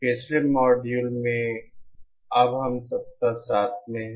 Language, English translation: Hindi, In the previous module, we are in week 7 now